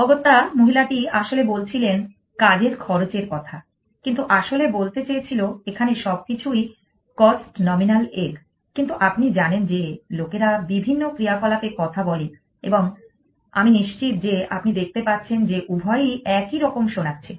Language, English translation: Bengali, Essentially, the women was actually saying work cost, but intended to say was everything a calls on arm in a egg, but you know people speak with different actions and that kind of I am sure you can see make both are them sound the similar